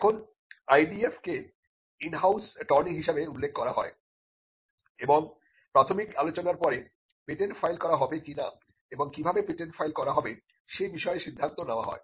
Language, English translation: Bengali, Now, the IDF is referred to an in house attorney and after the preliminary discussions a decision is taken whether to file a patent and how to file the patent